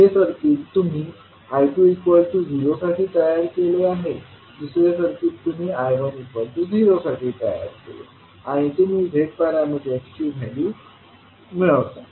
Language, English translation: Marathi, First is you create the circuit when you put I2 is equal to 0, in second you put I1 equal to 0 and you will find out the value of Z parameters